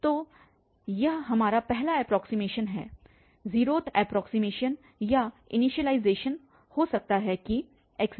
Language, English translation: Hindi, 5 so this is our first approximation 0th approximation or initialization which says that x naught is 0